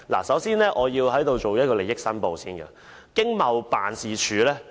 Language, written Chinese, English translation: Cantonese, 首先，我要申報利益：我曾受惠於經濟貿易辦事處。, First of all I have to declare an interest . I was sort of a beneficiary of the Hong Kong Economic and Trade Office HKETO